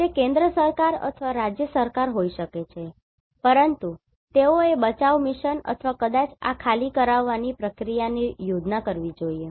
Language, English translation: Gujarati, It may be central government or a state government, but they should plan the rescue mission or maybe this evacuation processes